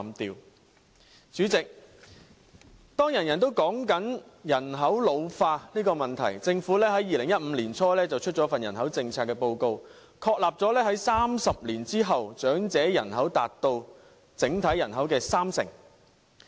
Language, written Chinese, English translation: Cantonese, 代理主席，當人人也在討論人口老化的問題，政府在2015年年初發表了一份人口政策報告，確立在30年後，長者人口達到整體人口的三成。, Deputy President when population ageing becomes the talk of the town Government published a report on population policy in early 2015 confirming that elderly population would form 30 % of overall population after 30 years